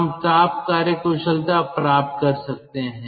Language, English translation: Hindi, and then what we can do, we can obtain the thermal efficiency